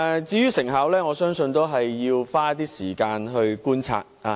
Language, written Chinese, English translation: Cantonese, 至於成效方面，我相信要花一些時間觀察。, Insofar as the effects are concerned I believe we need to spend some time making observations